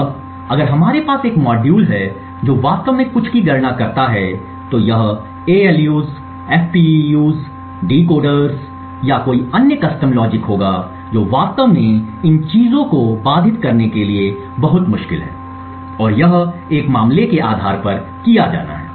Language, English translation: Hindi, Now, if we have a module which actually computes something for example it would be ALUs, FPUs, decoders or any other custom logic it is actually very difficult to obfuscate these things, and this has to be done on a case to case basis